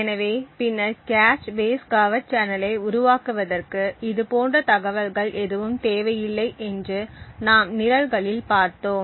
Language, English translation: Tamil, So, later on as we would see in the programs we would require to no such information in order to build our cache base covert channel